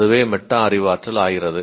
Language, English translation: Tamil, That is what is metacognition